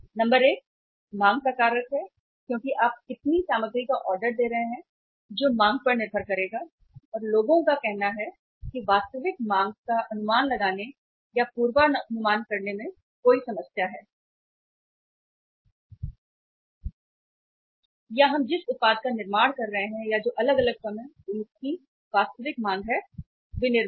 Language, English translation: Hindi, Number one is the demand factor because how much material you will be ordering that will depend upon the demand and people say that there is a problem in estimating or forecasting the true demand or the actual demand for the product we are manufacturing or the different firms are manufacturing